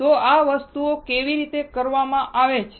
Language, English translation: Gujarati, So, how these things are done